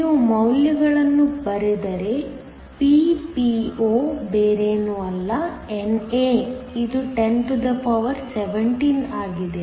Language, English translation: Kannada, If you write down the values Ppo is nothing but, NA is 1017